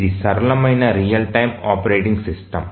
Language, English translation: Telugu, So, this is the simplest real time operating system